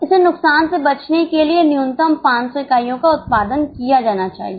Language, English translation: Hindi, So, minimum 500 units must be produced to avoid losses